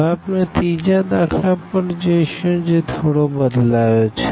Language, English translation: Gujarati, Now, we will go to the third example which is again slightly changed